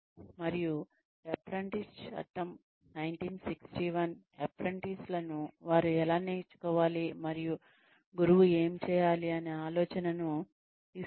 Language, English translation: Telugu, And, apprentices act 1961, gives an idea of, how the apprentices should be treated what they should learn and, what the mentor should be doing